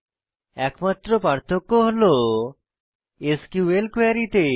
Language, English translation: Bengali, The only difference is in the SQL query